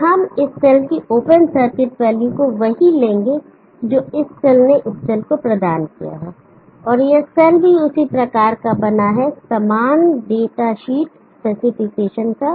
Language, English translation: Hindi, And we will take this cell open circuit value to be same as this cell provided this cell and this cell is also same make, same date sheet aspect